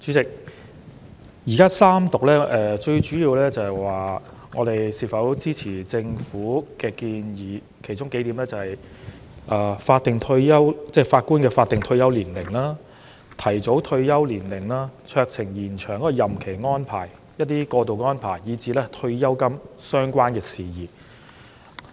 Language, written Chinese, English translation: Cantonese, 主席，現時三讀主要是議員就是否支持政府的建議進行表決，其中包括延展法官的法定退休年齡、酌情提早退休年齡、酌情延展任期安排、過渡安排及退休金等相關事宜。, President in Third Reading Members will mainly vote for or against the proposals of the Government including extending the statutory retirement age of judges introducing a discretionary early retirement age providing for discretionary extension of term of office making transitional arrangements providing for pension payments etc